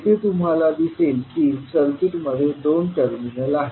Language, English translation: Marathi, So here you will see that circuit is having two terminals